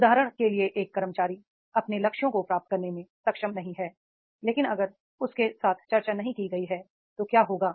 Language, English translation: Hindi, For example, an employee is not able to achieve the targets, but if it has not been discussed with him, what will happen